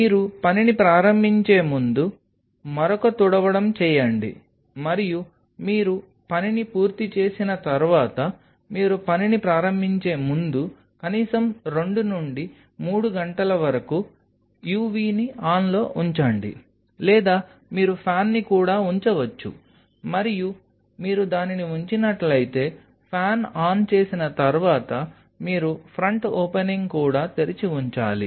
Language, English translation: Telugu, Before you start the work do another wipe, and once you finish the work overnight keep the u v on at least for 2 to 3 hours before you start the work or you can even leave the fan on there is no and, but if you keep the fan on then you have to keep the front opening also open